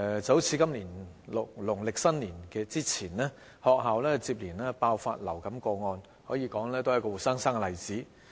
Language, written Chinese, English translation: Cantonese, 好像今年農曆新年前，學校接連爆發流感個案，可說是活生生的例子。, For instance the series of influenza outbreaks at schools before this Chinese New Year are a living example